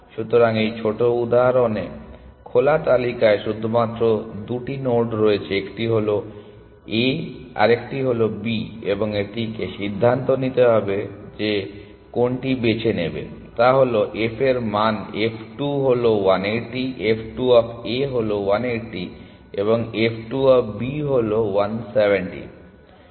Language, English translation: Bengali, So, in this small example there are only two nodes in the open list, one is A one is B and it has to decide which one to pick it uses is f values f 2 is 180 f 2 of A is 180 and f 2 of B is 170